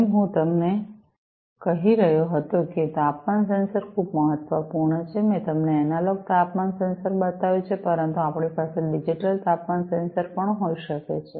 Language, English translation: Gujarati, As I was telling you that temperature sensors are very important I have shown you an analog temperature sensor, but we could also have digital temperature sensors